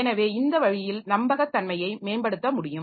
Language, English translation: Tamil, So, that way it can be, so the reliability can be improved